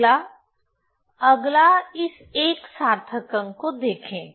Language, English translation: Hindi, So, next you see this significant figure